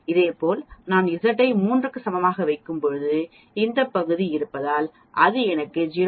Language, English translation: Tamil, Similarly, when I put Z is equal to 3, it gives me 0